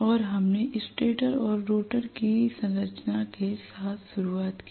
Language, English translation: Hindi, And we started off with the structure of stator and rotor